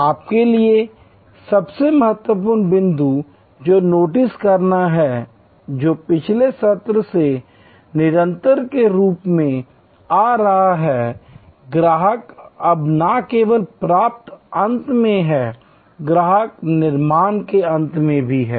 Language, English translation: Hindi, The most important point for you to notice, which is coming as a continuation from the last session is that, customer is now not only at the receiving end, customer is also at the creation end